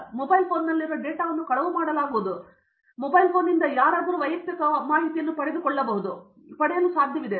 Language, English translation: Kannada, Will my data in this mobile phone be stolen or if they ask you a question, can somebody hack and get some personal details from this mobile phone